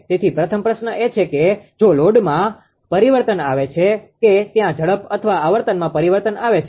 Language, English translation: Gujarati, So, first question is if there is a change in load there will be change in speed or frequency right